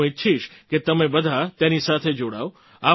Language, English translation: Gujarati, I want you all to be associated with this